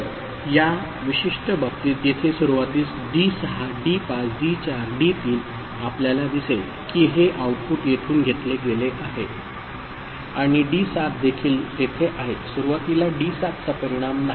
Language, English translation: Marathi, So, here in this particular case so, in the beginning D6 D5 D4 D3 you see this is the output this is taken from here right and D7 is also there first of all in the beginning D7 is not of consequence